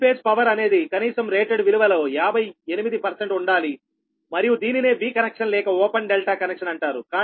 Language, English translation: Telugu, it can supply right three phase power at least fifty eight percent of its rated value and this is known as v connection or open delta connection right